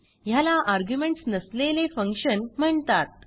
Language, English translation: Marathi, This is called as functions without arguments